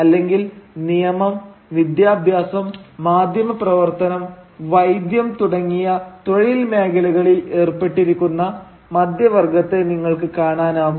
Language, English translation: Malayalam, Or, you could see the middle class engaged in professions like law, education, journalism, medicine, etcetera